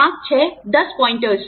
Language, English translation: Hindi, The 5, 6, 10 pointers